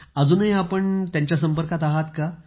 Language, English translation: Marathi, Are you still in touch with them